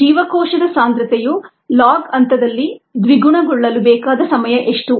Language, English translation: Kannada, what is the time needed for the cell concentration to double in the log phase